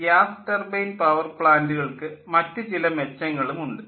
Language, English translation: Malayalam, so there are other advantages of gas turbine, gas turbine power plant, though it has got also certain limitations